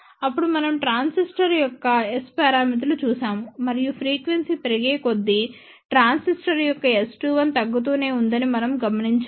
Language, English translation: Telugu, Then we look at S parameters of a transistor and we noticed that S 2 1 of the transistor keeps on decreasing as frequency increases